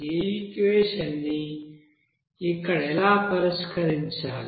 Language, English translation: Telugu, So how to solve this equation here